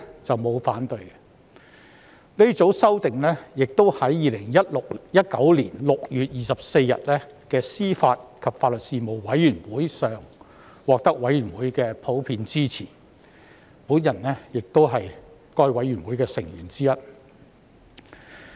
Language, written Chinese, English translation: Cantonese, 這組修訂亦在2019年6月24日的司法及法律事務委員會會議上獲得委員的普遍支持，而我亦是該事務委員會的成員之一。, At the meeting of the Panel on Administration of Justice and Legal Services on 24 June 2019 this group of amendments also gained general support from members of whom I am one